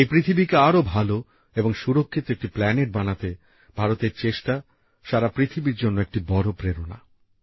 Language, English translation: Bengali, India's contribution in making this earth a better and safer planet is a big inspiration for the entire world